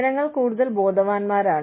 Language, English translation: Malayalam, People are more aware